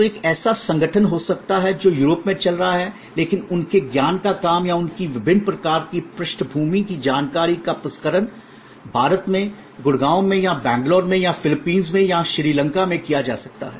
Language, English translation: Hindi, So, there can be an organization which is operating in the heart of Europe, but their knowledge work or their processing of their various kinds of background information may be done in Gurgaon or in Bangalore in India or could be done in Philippines or in Sri Lanka